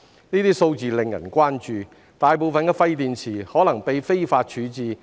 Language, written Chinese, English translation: Cantonese, 該等數字令人關注，大部分廢電池可能被非法處置。, Such figures have aroused the concern that the majority of waste batteries might have been disposed of illegally